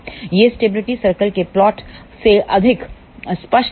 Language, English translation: Hindi, This will be more clear from the plot of the stability circles